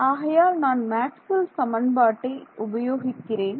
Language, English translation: Tamil, So, I use Maxwell’s equation and what should I replace this by